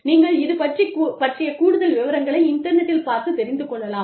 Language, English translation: Tamil, You can look up this more, on the internet